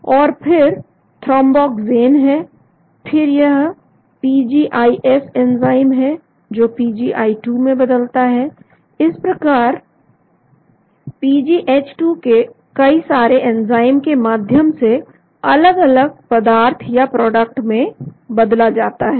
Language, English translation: Hindi, And then there are thromboxane, then there is PGIS enzyme which converts into PGI2, so the PGH2 is being converted by large number of enzymes to various products